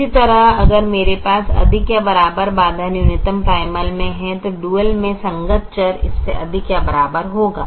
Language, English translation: Hindi, similarly, if i have a greater than or equal to constraint in a minimization primal, then the corresponding variable in the dual will be greater than or equal to